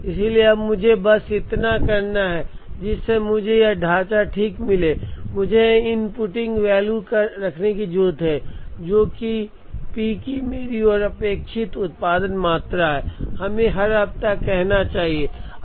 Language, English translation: Hindi, So now, all I need to do is, the moment I get this structure right, I need to keep inputting values here, which are my expected production quantities of P, let us say in every week